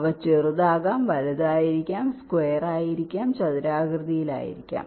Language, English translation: Malayalam, they can be small, they can be big, they can be square, they can be rectangular